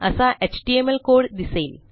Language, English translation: Marathi, our html code